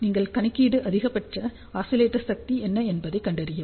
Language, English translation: Tamil, So, you do the calculation and find out what will be the maximum oscillator power